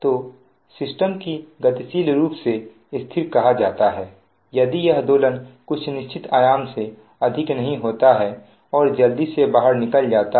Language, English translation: Hindi, so the system is said to be dynamically stable if this oscillation do not occur more than certain amplitude and die out quickly